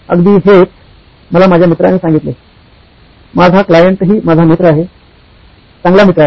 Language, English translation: Marathi, That’s what my friend told me, my client who is also my friend, good friend